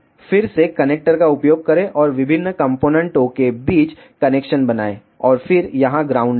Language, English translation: Hindi, Again use connector and make the connection between different components and then put ground here